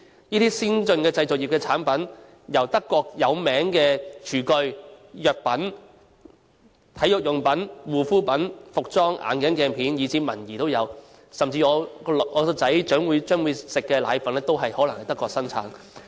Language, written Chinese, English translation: Cantonese, 這些先進製造業的產品，由著名的廚具、藥品、體育用品、護膚品、服裝、眼鏡鏡片以至文儀，甚至我的兒子將會食用的奶粉，都可能是德國本土生產的。, These advanced manufacturing industries make a wide range of products comprising famous kitchenware pharmaceutical products sporting goods skincare products apparel spectacle lenses and stationeries . Even the baby formula milk that my son is going to eat may also be made in Germany